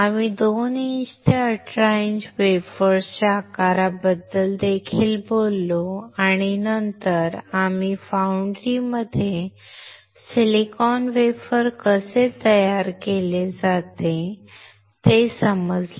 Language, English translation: Marathi, We also talked about the size of the wafers from 2 inch to18 inch, and then we understood quickly how the silicon wafer is manufactured in a foundry